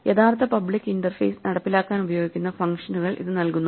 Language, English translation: Malayalam, And it gives us the functions that are used to implement the actual public interface